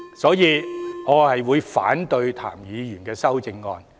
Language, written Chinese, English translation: Cantonese, 所以，我會反對譚議員的修正案。, Therefore I will oppose Mr TAMs amendment